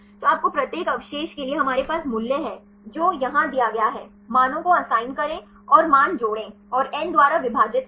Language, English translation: Hindi, So, you get the for each residue we have the value it is here assign the values and add up the values and divide by n